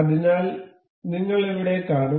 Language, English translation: Malayalam, So, we will see here